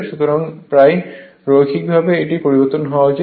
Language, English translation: Bengali, So, almost linearly it should vary